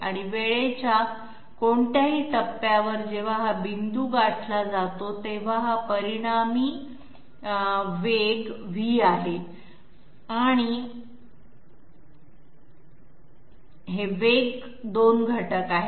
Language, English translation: Marathi, And at any point in time when this is the point which has been reached, this is the resultant velocity and these are the 2 velocity components